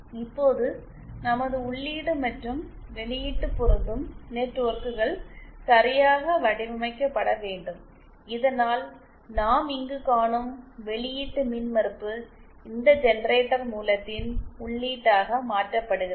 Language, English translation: Tamil, Now say so our input and output matching networks have to be properly designed so that the output impedance that we see here is converted to this generator source input